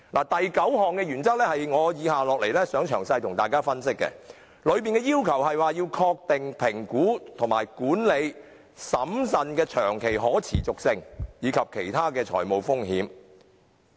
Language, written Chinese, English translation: Cantonese, 第九項原則是我接下來想向大家作出詳細分析的，當中要求確定評估和管理審慎的長期可持續性，以及其他財務風險。, The ninth principle is what I am going to analyse in detail with Members . This principle requires a budget to identify assess and manage prudently longer - term sustainability and other fiscal risks